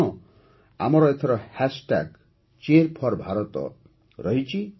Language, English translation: Odia, And yes, this time our hashtag is #Cheer4Bharat